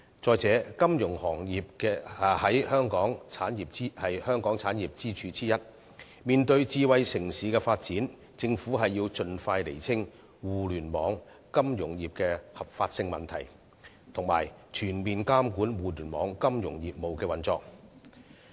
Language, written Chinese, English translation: Cantonese, 再者，金融行業是香港產業的其中一條支柱，面對智慧城市發展，政府要盡快釐清互聯網、金融業的合法性問題，以及全面監管互聯網、金融業務的運作。, Furthermore the financial industry is one of the pillar industries of Hong Kong . In the face of smart city development the Government should expeditiously clarify the legitimacy of the Internet and the financial industry and oversee the operation of the Internet and financial businesses in a comprehensive manner